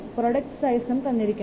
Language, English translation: Malayalam, The size is also given